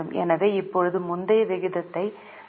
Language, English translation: Tamil, So now you can see earlier the ratio was 0